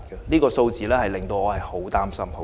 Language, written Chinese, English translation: Cantonese, 這些數字令我非常擔心。, These figures have worried me a lot